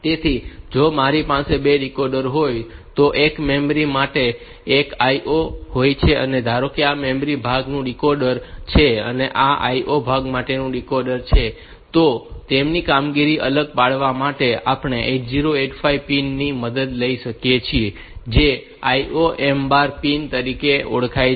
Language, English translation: Gujarati, and one for IO suppose this is the decoder for the memory part and this is the decoder for the IO part, then to distinguish their operation, we can take help of the 8085s pin which is known as the IO M bar pin